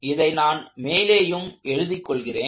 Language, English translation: Tamil, Let me write that down up front